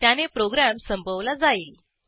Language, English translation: Marathi, This will terminate the program